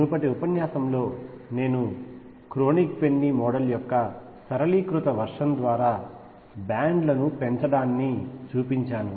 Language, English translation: Telugu, In the previous lecture I showed the raising of bands through a simplified version of Kronig Penny model